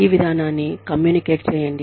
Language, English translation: Telugu, Communicate this policy